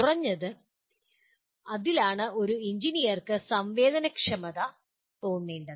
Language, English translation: Malayalam, And that is what an engineer needs to at least feel sensitized to that